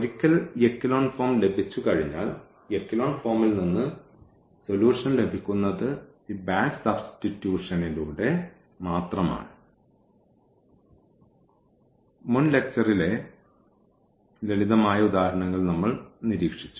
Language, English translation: Malayalam, So, once we have the echelon form getting the solution from the echelon form was just through this back substitution which we have observed in simple examples in previous lecture